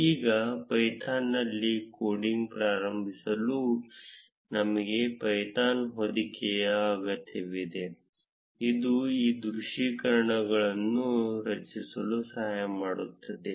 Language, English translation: Kannada, Now to start coding in python, we would need a python wrapper, which aids in creating these visualizations